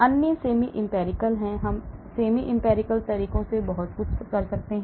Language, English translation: Hindi, the other one is semi empirical we can do lot of things with semi empirical methods